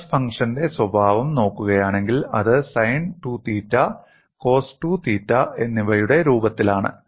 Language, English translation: Malayalam, And if you look at the nature of the stress function, it is in the form of sin 2 theta and cos 2 theta